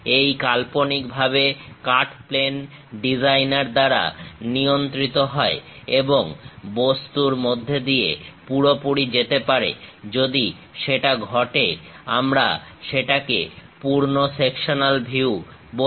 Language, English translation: Bengali, This imaginary cut plane is controlled by the designer and can go completely through the object; if that is happening, we call full sectional view